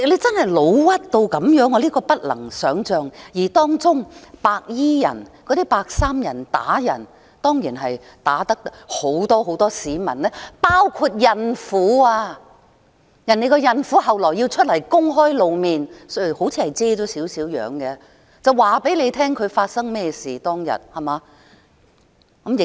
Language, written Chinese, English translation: Cantonese, 真的不能想象，而當中白衣人打人，打了很多市民，其中包括孕婦，而這位孕婦後來也公開露面——她似乎也把部分樣貌遮掩——告訴大家當時事發經過，對嗎？, This is unimaginable indeed . In the incident many members of the public including a pregnant woman were attacked by white - clad people and this pregnant woman also made a public appearance later―she seemed to have part of her face covered―to give an account of what happened that time right? . Certainly some reporters were also assaulted